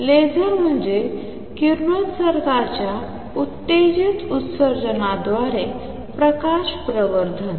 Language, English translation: Marathi, Laser means light amplification by stimulated emission of radiation